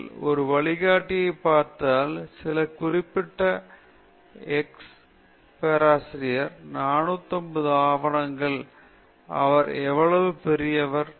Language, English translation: Tamil, If you look at a guide, some particular X professor, 450 papers, what a great person he is